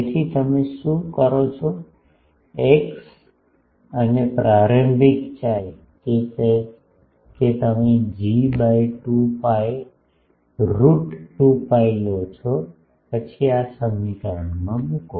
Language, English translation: Gujarati, So, what you do starting x and chi starting chi, that you take as G by 2 pi root 2 pi then put in this equation